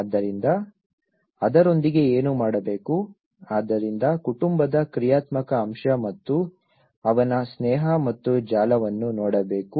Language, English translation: Kannada, So, what to do with it so that is where one has to look at the dynamic aspect of the family and his friendship and the network of it